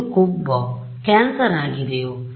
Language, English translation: Kannada, Is it fat, is it cancer, what is it